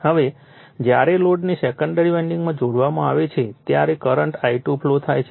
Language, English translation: Gujarati, Now, when a load is connected across the secondary winding a current I2 flows right